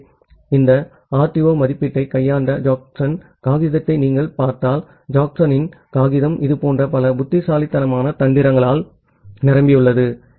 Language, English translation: Tamil, So, Jacobson’s paper if you look into the Jacobson paper that had deal with this RTO estimation, in that case it is full of many such clever tricks